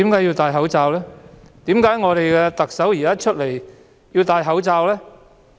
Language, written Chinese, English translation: Cantonese, 為何我們的特首現在出來要戴口罩呢？, Why is our Chief Executive wearing a mask in public?